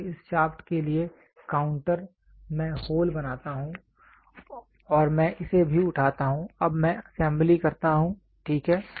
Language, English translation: Hindi, So, counter for this shaft I make holes and I also pick this now I do assembly, ok